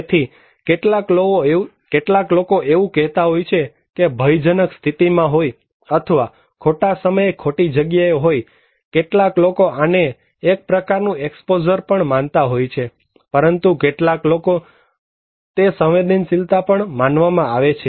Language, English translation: Gujarati, So, some people are saying that, placed in harm ways, or being in the wrong place at the wrong time, some people may consider this is also as kind of exposure but for some people this is also considered to be as vulnerability